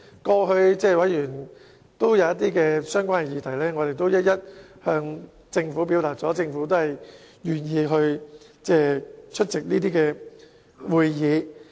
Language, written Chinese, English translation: Cantonese, 過去委員提出希望討論一些議題，我們也一一向政府表達，而政府也願意出席相關會議。, In the past when members of the Joint Subcommittee proposed subjects for discussion we conveyed all of them to the Government and Government officials were willing to attend those meetings